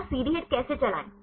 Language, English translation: Hindi, So, how to run CD HIT